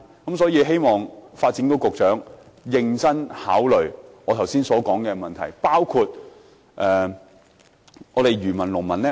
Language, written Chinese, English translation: Cantonese, 因此，我希望發展局局長認真考慮我剛才提出的問題。, So I hope the Secretary for Development can give serious thoughts to the issue raised by me just now